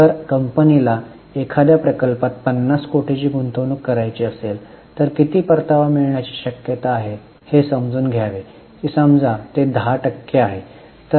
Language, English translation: Marathi, So, if company wants to invest 50 crore in some project, it must know how much return it is likely to get